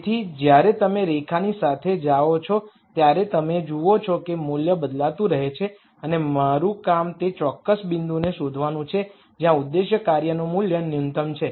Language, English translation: Gujarati, So, as you go along the line you see that the value keeps changing and my job is to nd that particular point where the objective function value is the min imum